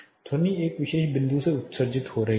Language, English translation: Hindi, We you know sound is getting emitted from a particular point